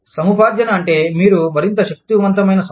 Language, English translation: Telugu, Acquisitions means, you are a more powerful company